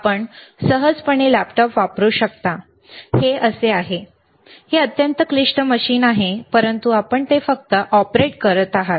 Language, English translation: Marathi, You can easily use laptop, this is how it is, it is extremely complicated machine, but what you are using you are just operating it